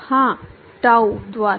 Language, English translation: Hindi, Yeah, tau by